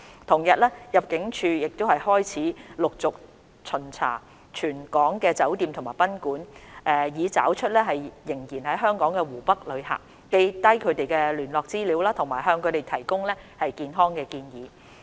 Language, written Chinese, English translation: Cantonese, 同日，入境處開始陸續巡查全港酒店及賓館，以找出仍然在港的湖北旅客，記下他們的聯絡資料，以及向他們提供健康建議。, On the same day the Immigration Department ImmD started to inspect all hotels and guesthouses in Hong Kong with a view to locating travellers from Hubei who were still in Hong Kong for registering their contact information and providing them with health advice